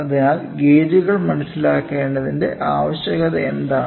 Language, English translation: Malayalam, So, what is the need for understanding gauges